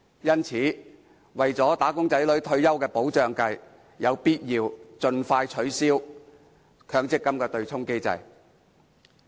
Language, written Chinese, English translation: Cantonese, 因此，為了"打工仔女"的退休保障着想，實在有必要盡快取消強積金的對沖機制。, Hence in order to secure retirement protection for wage earners it is necessary to expeditiously abolish the MPF offsetting mechanism